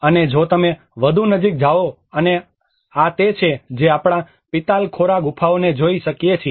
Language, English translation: Gujarati, \ \ \ And if you go further closer and this is what we can see the Pitalkhora caves